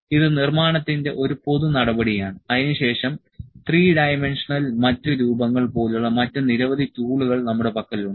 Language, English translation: Malayalam, So, this is a general measure that was construction, then, we have various other tools like a three dimensional other forms etc